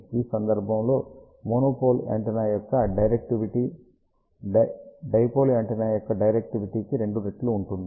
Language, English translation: Telugu, Directivity of the monopole antenna in this case will be two times the directivity of dipole antenna